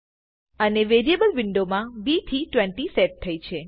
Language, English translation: Gujarati, And inside the variable window, it has set b to be 20